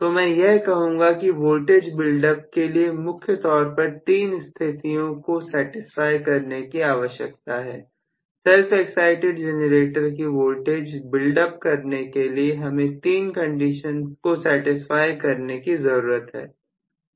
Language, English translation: Hindi, So, I would say for the voltage build up process mainly three conditions need to be satisfied, three conditions to be satisfied for the voltage build up process in a self excited generator